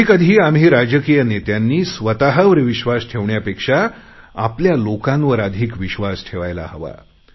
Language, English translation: Marathi, At times we political leaders should trust our people more than we trust ourselves